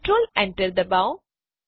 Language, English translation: Gujarati, Press Control Enter